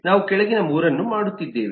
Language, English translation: Kannada, we are doing the bottom 3